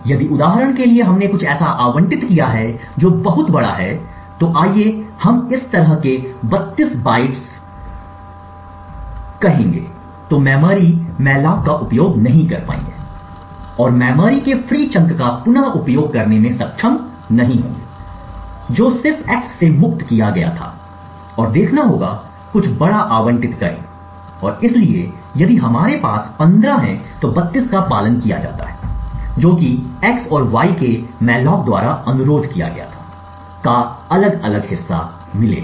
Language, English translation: Hindi, If for example we would have allocated something which is much larger, let us say 32 bytes like this then malloc will not be able to use the will not be able to reuse the freed chunk of memory which was just freed from x and would have to allocate something bigger and therefore if we have 15 followed by 32 which was requested by the mallocs x and y would get different chunks